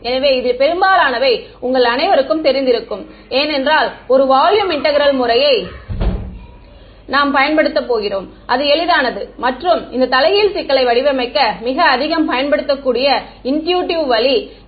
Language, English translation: Tamil, So, much of this is going to be familiar to you all because we are going to use a volume integral method right that is the easiest and most intuitive way to formulate this inverse problem ok